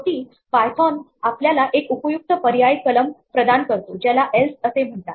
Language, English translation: Marathi, Finally, python offers us a very useful alternative clause called else